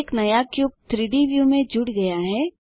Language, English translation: Hindi, A new cube is added to the 3D view